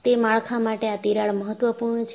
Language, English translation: Gujarati, For that structure, this crack is critical